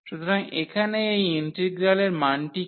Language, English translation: Bengali, So, what is this integral value here